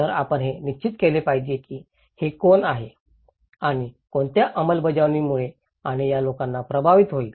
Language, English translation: Marathi, So, you have to define that who, what extent this and this settlement and these people will be affected